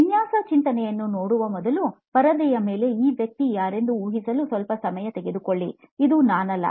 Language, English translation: Kannada, First of all what is design thinking, so just take a minute to guess who this person on the screen is, not me